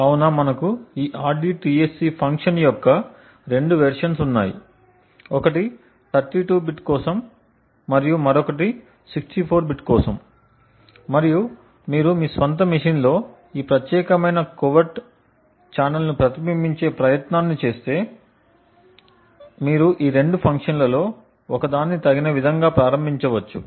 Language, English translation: Telugu, So we have 2 versions of this rdtsc function other one is for 32 bit and the other is for 64 bit and if you are using trying to actually replicated this particular covert channel on your own machine, you could suitably enable one of these 2 functions